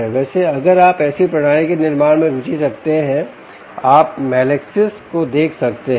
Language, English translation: Hindi, by the way, if you are interested in building such a system, you could look up melaxis